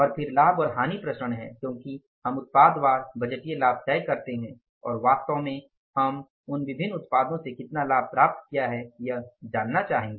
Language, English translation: Hindi, And then is the profit and loss variances that we fix up the budgeted profit each product wise and how much profit we actually attained from those different products, right